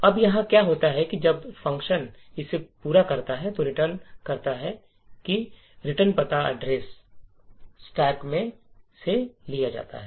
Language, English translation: Hindi, Now what happens here is that when the function completes it execution and returns, the return address is taken from the stack